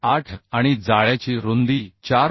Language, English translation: Marathi, 8 and width of the web is 4